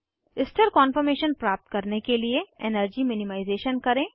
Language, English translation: Hindi, Do the energy minimization to get a stable conformation